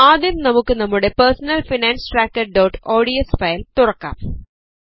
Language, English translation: Malayalam, Let us open our Personal Finance Tracker.ods file first